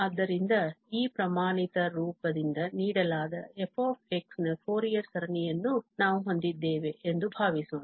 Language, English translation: Kannada, So, we will write the Fourier series of f as the standard Fourier series